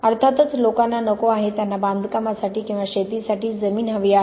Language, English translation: Marathi, Of course people do not want to; they want land to build on, or for agriculture